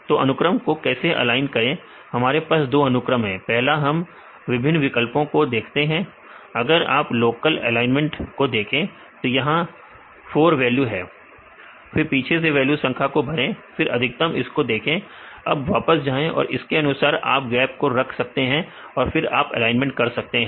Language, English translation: Hindi, So, how to align these sequences we have two sequences, first we see the various different options if you have local alignment see there 4 values then fill the fill the value numbers and from the back see the highest score you go back to trace back then accordingly you can put the gaps and then you can make this alignments right